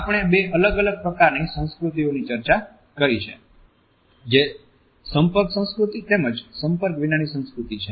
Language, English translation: Gujarati, We have discussed two different types of cultures which are the contact culture as well as the non contact culture